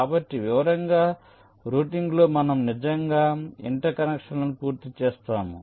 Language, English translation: Telugu, so where, as in detail routing, we actually complete the interconnections